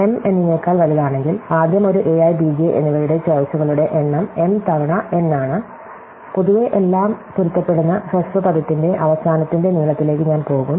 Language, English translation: Malayalam, So, if m is greater than n, then first of all the number of choices of a i and b j is m times n and in general, I will go to the length of the end of the shorter word matching everything